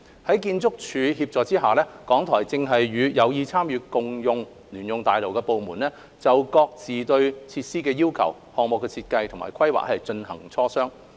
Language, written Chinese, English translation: Cantonese, 在建築署協助下，港台正和有意參與共用聯用大樓的部門，就各自對設施的要求、項目設計及規劃進行磋商。, With the assistance of the Architectural Services Department RTHK is discussing with departments which are interested in the joint - user building on their respective requirements as well as project design and planning